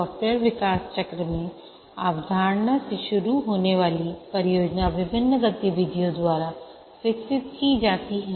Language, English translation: Hindi, In the software development lifecycle, the project starting from the concept is developed by various activities